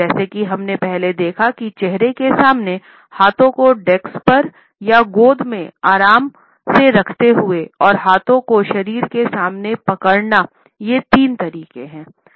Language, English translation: Hindi, Hence as we have seen earlier clenched in front of the face, hands clenched resting on the desk or on the lap and while standing hands clenched in front of the body